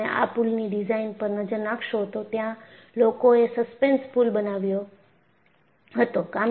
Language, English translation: Gujarati, If you really look at the bridge design, people built a suspension bridge